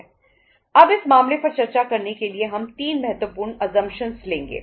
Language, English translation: Hindi, Now to discuss this case we will take 3 important assumptions